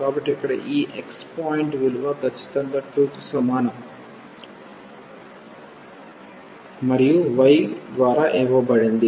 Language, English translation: Telugu, So, this point here is a precisely x is equal to 2 and the y will be given by